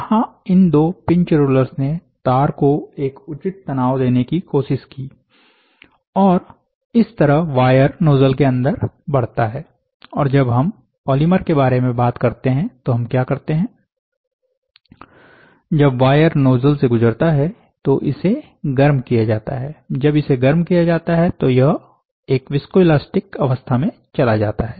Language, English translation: Hindi, So this, these two pins tallest tried to give a proper tension to the wire, such that the wire moves inside the nozzle and when we are talking about polymer, what we do is, when the wire is passed through the nozzle, it is heated